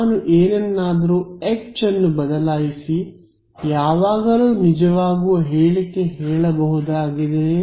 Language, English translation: Kannada, Can I replace H by something and make a statement that will always be true